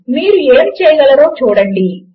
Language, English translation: Telugu, See what you can do